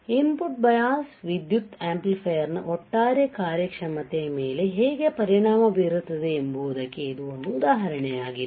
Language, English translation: Kannada, So, this is an example how the input bias current affects the overall performance of the amplifier